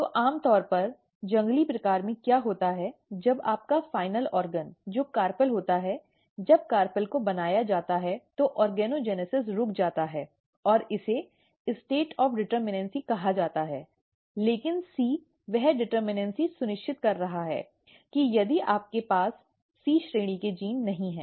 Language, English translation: Hindi, So, normally what happens in the wild type, when your final organ which is carpel, when carpel is made the organogenesis is stopped and that is called the state of determinacy, but C is ensuring that determinacy if you do not have C class genes